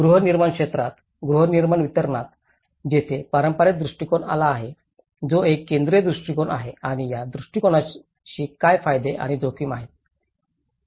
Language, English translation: Marathi, In the housing sector, in the housing delivery, there has been a traditional approach, which is a concentrated approach and what are the benefits and risks associated with this approach